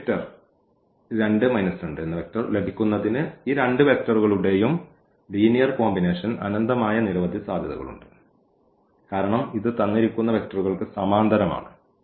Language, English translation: Malayalam, There are so, many infinitely many possibilities to have this linear combination of these two vectors to get this vector 2 and minus 1 because, this is parallel to the given vectors